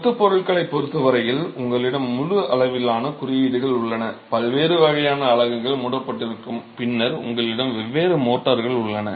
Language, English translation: Tamil, As far as the masonry materials are concerned, you have an entire spectrum of codes, the different types of units are covered and then you have different motors that have to be addressed